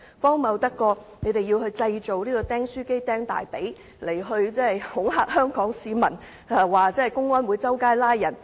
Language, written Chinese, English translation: Cantonese, 荒謬得過他們製造"釘書機釘大腿"來恐嚇香港市民，指公安會到處拘捕人？, Is it more ridiculous than their fake staple wounds story to intimidate Hong Kong people by claiming that public security officers arrested people at will?